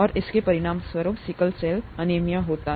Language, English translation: Hindi, And that results in sickle cell anaemia